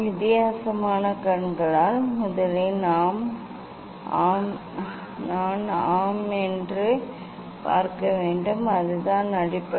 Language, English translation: Tamil, with weird eyes first I should see the yes that is the base